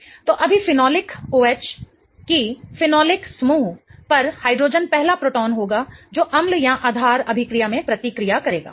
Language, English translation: Hindi, So, right now the phenolic OH, that hydrogen on that phenolic group will be the first proton that will get reacted in an acid based reaction